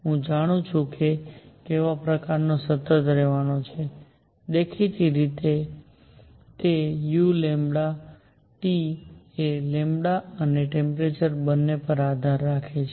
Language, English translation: Gujarati, What kind of constant is going to be I know; obviously, that u lambda T depends both on lambda and temperature